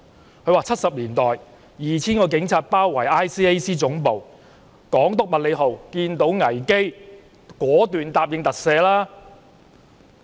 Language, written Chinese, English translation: Cantonese, 在1970年代 ，2,000 名警察包圍廉政公署總部，港督麥理浩看到危機，果斷答應特赦。, In the 1970s 2 000 police officers surrounded the headquarters of the Independent Commission Against Corruption . Seeing the crisis Hong Kong Governor Sir Murray MACLEHOSE decisively promised to grant pardon